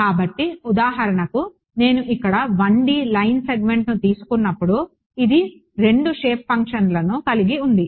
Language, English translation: Telugu, So, for example, when I took the 1 D line segment over here this had 2 shape functions right